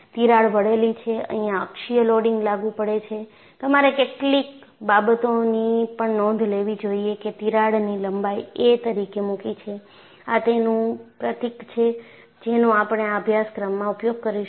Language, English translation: Gujarati, The crack is inclined and you have a axial loading applied; and you should also a note down a few things; you know, I have put the length of the crack as a; this is the symbol that we will be using in this course